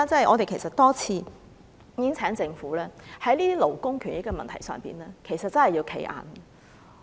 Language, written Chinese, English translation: Cantonese, 我們其實亦多次請政府要在這些勞工權益的問題上"企硬"。, We have also repeatedly urged the Government to adopt a firm stance on issues relating to labour rights and interests